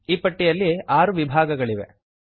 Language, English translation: Kannada, There are six columns in this list